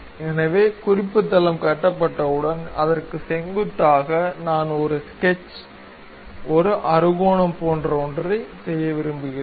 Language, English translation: Tamil, So, once reference plane is constructed; normal to that, I would like to have something like a sketch, a hexagon, done